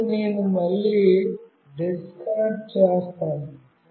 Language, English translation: Telugu, Now, I will again disconnect